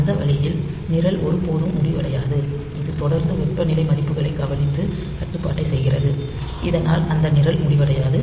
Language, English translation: Tamil, So, that way that program never ends, so that continually looks into the temperature values and does the control, so that program does not end